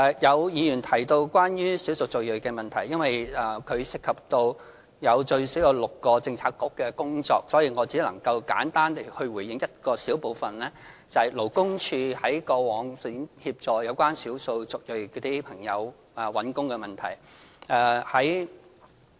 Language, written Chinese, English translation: Cantonese, 有議員提到關於少數族裔的問題，由於這方面涉及最少6個政策局的工作，所以我只能簡單地回應一小部分，也就是勞工處在過往向少數族裔朋友在求職方面提供的協助。, Some Members have mentioned the problems with ethnic minorities . Since at least six Policy Bureaux are involved in this area I can only briefly respond to the job - seeking assistance provided by the Labour Department LD in the past for people of ethnic minorities